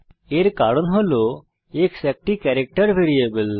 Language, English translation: Bengali, This is because x is a character variable